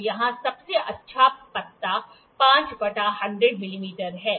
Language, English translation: Hindi, So, the finest leaf here is 5 by 100